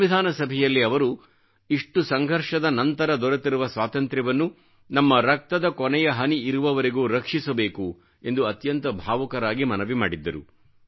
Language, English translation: Kannada, He had made a very moving appeal in the Constituent Assembly that we have to safeguard our hard fought democracy till the last drop of our blood